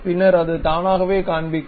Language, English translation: Tamil, Then it will automatically show